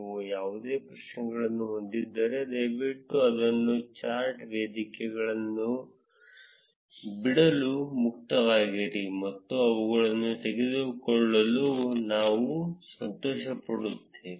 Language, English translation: Kannada, If you have any questions, please feel free to drop it at the discussion forum, and we will be happy to take them